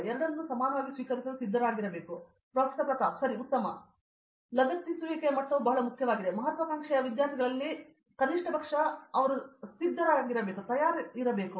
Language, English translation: Kannada, That level of involvement and attachment is very important, something that in aspiring students should be prepared for and have the at least